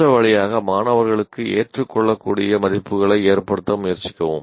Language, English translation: Tamil, The other one is try to instill in students acceptable values